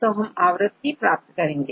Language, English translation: Hindi, So, we get the occurrence